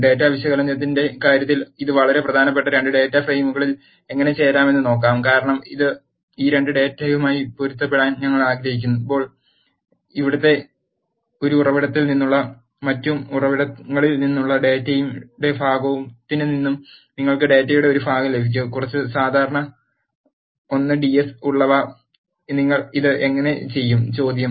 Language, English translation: Malayalam, Now, let us look how to join 2 data frames it is very important in terms of data analysis, because you will get part of the data from one source and the part of the data from other source, when we want to match these 2 data, which are having some common I ds, how do you do this is the question